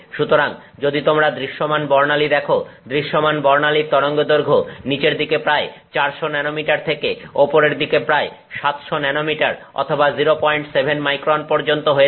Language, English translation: Bengali, So if So, if you take visible spectrum, the wavelength of the visible spectrum is from about 400 nanometers at the shorter end of the wavelength to about 700 nanometers or 0